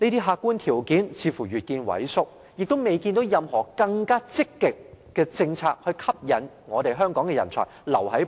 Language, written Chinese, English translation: Cantonese, 客觀條件似乎越見萎縮，亦看不到有任何更積極的政策去吸引香港人才留下。, It seems that objective conditions are deteriorating and proactive policies for retaining Hong Kong talents are nowhere in sight